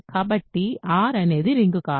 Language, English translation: Telugu, So, R is not a ring